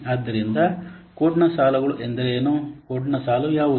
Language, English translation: Kannada, So, the lines of code means what is a line of code